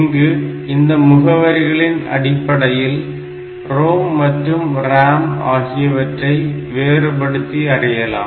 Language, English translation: Tamil, So, we use that to differentiate between the ROM space and the RAM space